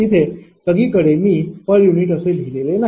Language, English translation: Marathi, Everywhere I have not written per unit